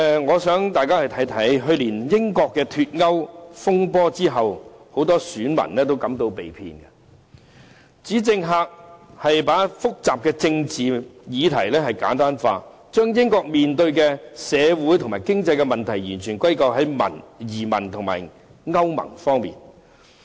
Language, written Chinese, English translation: Cantonese, 我想大家看看，去年英國脫歐風波後，很多選民都感到被騙，指政客把複雜的政治議題簡單化，將英國面對的社會及經濟問題完全歸咎於移民和歐盟方面。, I refer Members to the case of Brexit . After the referendum in Britain last year many British voters felt that they were deceived claiming that politicians had simplified some very complicated political issues and ascribed all the social and economic problems in Britain to immigrants and the European Union